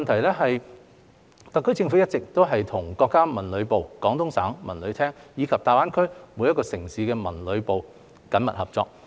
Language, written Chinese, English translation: Cantonese, 二特區政府一直與國家文旅部、廣東省文旅廳及大灣區各城市的文旅部門緊密合作。, 2 The SAR Government has been closely cooperating with the Ministry of Culture and Tourism MoCT the Department of Culture and Tourism of Guangdong Province and the culture and tourism departments of the GBA cities